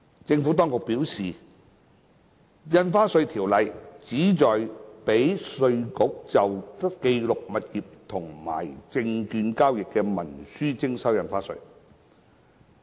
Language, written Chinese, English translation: Cantonese, 政府當局表示，《條例》旨在讓稅務局就記錄物業和證券交易的文書徵收印花稅。, The Administration has indicated that the Ordinance is designed to enable stamp duty to be collected on instruments recording transactions in property and stocks